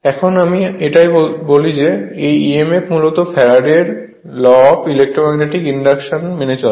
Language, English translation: Bengali, Now, this is what I say that this and this emf strictly basically Faraday’s law of electromagnetic induction right